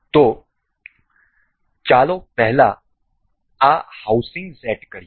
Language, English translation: Gujarati, So, let us just set up this housing first